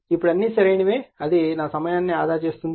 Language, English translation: Telugu, Now all are correct it will save my time